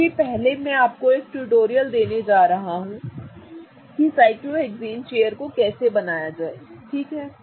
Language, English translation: Hindi, So, what I am going to first do is I am going to give you a quick tutorial on how to draw a cyclohexane chair